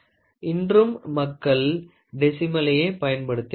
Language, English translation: Tamil, Still today, people use decimal